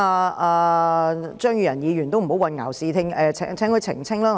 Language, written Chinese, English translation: Cantonese, 我請張宇人議員不要混淆視聽，並請他澄清一點。, I urge Mr Tommy CHEUNG to stop confusing people and clarify one point